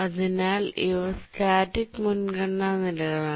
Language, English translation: Malayalam, So, these are static priority levels